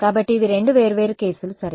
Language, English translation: Telugu, So, these are the two different cases ok